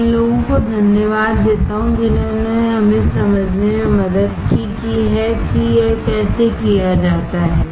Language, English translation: Hindi, I thank to these guys who have helped us to understand how it is done